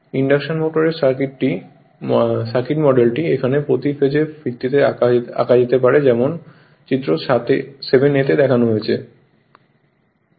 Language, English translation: Bengali, The circuit model of the induction motor can now be drawn on per phase basis as shown in figure 7 a